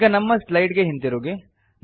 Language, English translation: Kannada, Now switch back to our slides